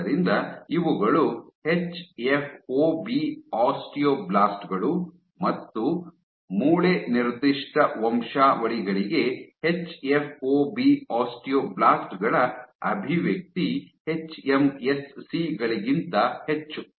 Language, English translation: Kannada, So, these are hFOB osteo blasts again the expression of hFOB osteo blats for bone specific lineages are much higher than that of hMSCs